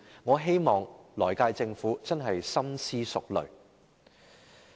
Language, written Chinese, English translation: Cantonese, 我希望來屆政府深思熟慮。, I hope the next Government can give serious thoughts